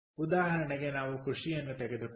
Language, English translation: Kannada, ok, so lets take into account agriculture